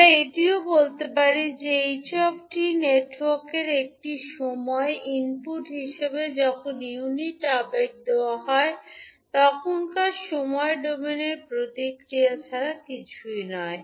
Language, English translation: Bengali, So, we can also say that h t is nothing but the time domain response of the network when unit impulse is given as an input to the network